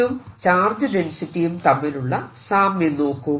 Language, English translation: Malayalam, see the similarity with similarity with charge density in charge density